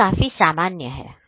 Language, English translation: Hindi, These are quite common right